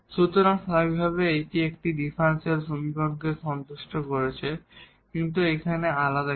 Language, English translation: Bengali, So, naturally it is satisfying this differential equation so, but what is the different here